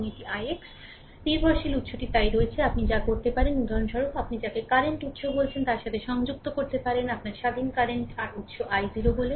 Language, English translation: Bengali, So, dependent source is there so, what you can do is for example, you can connect a your what you call a current source say your independent current source i 0